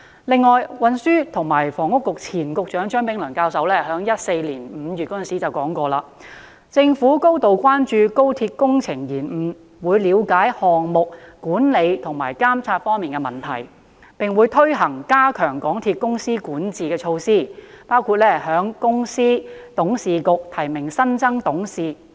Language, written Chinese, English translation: Cantonese, 此外，前運輸及房屋局局長張炳良教授在2014年5月曾表示，政府高度關注高鐵工程延誤，會了解項目管理和監察方面的問題，並會推行加強港鐵公司管治的措施，包括向公司董事局提名新增董事。, Besides the former Secretary for Transport and Housing Prof Anthony CHEUNG expressed serious concern on behalf of the Government in May 2014 over delays in the works projects of XRL saying that he would look into the project management and monitoring problems and launch measures to strengthen corporate governance of MTRCL including nominating new members into the MTRCL Board